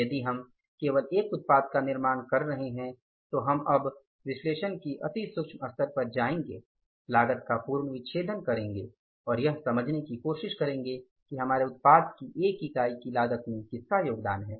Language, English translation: Hindi, If we are manufacturing only one product then we will now go for the minute micro level of the analysis, complete dissection of the cost and trying to understand what contributes the cost, total cost of the one unit of our product